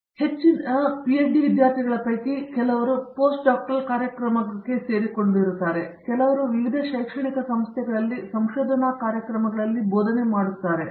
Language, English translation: Kannada, And, PhD students also have some of them joined Post Doctoral programs and some of them have joined teaching in research programs at various educational institutions